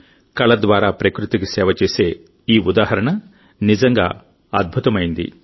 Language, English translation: Telugu, This example of serving nature through art is really amazing